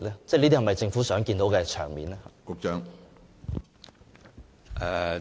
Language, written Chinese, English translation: Cantonese, 這是否政府想看到的場面呢？, Is it a desired outcome for the Government?